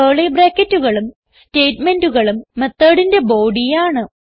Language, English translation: Malayalam, While the curly brackets and the statements forms the body of the method